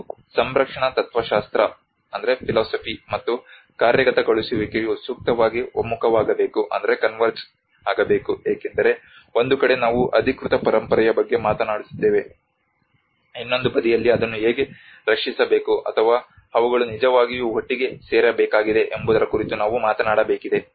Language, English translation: Kannada, And conservation philosophy and execution should ideally converge because on one side we are talking about the authentic heritage on the other side we have to talk about how to protect it or so they has to really come together